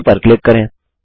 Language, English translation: Hindi, Now click OK